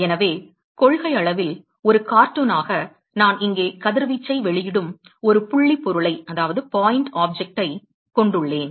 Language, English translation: Tamil, So, in principle as a cartoon supposing I have a point object here emitting radiation